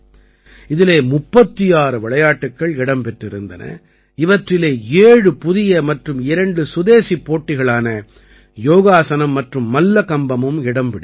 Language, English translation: Tamil, 36 sports were included in this, in which, 7 new and two indigenous competitions, Yogasan and Mallakhamb were also included